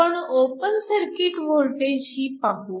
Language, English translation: Marathi, This is the open circuit voltage